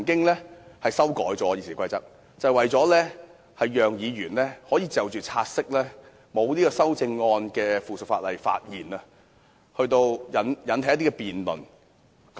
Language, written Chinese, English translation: Cantonese, 原因是《議事規則》曾經作出修訂，讓議員可就察悉沒有修正案的附屬法例發言，藉以引起一些辯論。, The reason is that RoP has been amended to allow Members to speak on subsidiary legislation to which no amendment has been proposed so as to enable a debate to take place